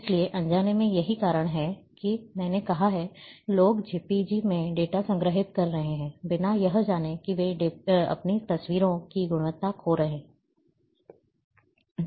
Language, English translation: Hindi, So, unknowingly, that is why I have said, the people are storing data in JPEG, without knowing, that they are loosing the quality of their photographs